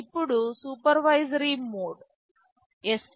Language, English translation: Telugu, Now, the supervisory mode is svc